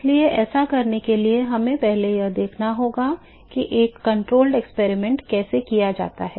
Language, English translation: Hindi, So, in order to do that, we need to first look at how to perform a controlled experiment